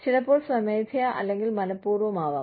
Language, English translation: Malayalam, Sometimes, voluntarily, intentionally